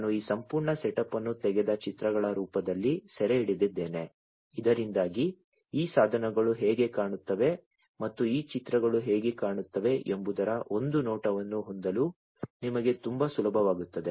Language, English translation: Kannada, I you know I have captured this entire setup in the form of pictures taken so that it becomes very easier for you to have a glimpse of what how these devices look like and this is these pictures